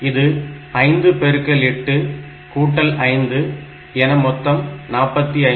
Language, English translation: Tamil, It is 5 into 8 plus 5 that is equal to 45